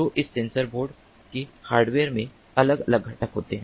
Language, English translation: Hindi, so this sensor board, the hardware of it, has different components